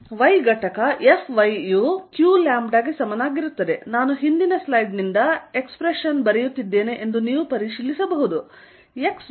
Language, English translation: Kannada, The y component is going to be F y equals q lambda, you can check that I am writing the expression from the previous slide 4 pi Epsilon 0 instead of x